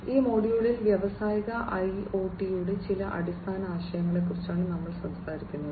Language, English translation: Malayalam, In this module, we will be talking about some of the basic concepts of Industrial IoT